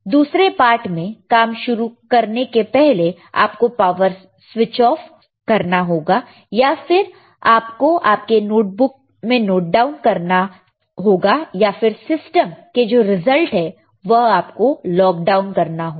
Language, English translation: Hindi, Switch off the power before you start working on other parts, or you note down in your notebook, or you lock down the results in your system, right